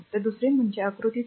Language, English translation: Marathi, So, figure 2